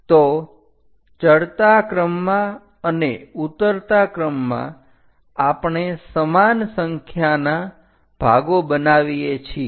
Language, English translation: Gujarati, So, in the ascending order and descending order, we make equal number of parts